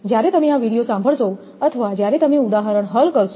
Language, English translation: Gujarati, When you will listen to this video or when you will solve numerical